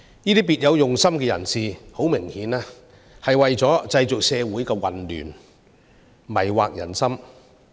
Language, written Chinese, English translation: Cantonese, 這些別有用心的人士，很明顯是為了製造社會混亂，迷惑人心。, Obviously these people of ulterior motives are creating chaos in society and deceiving people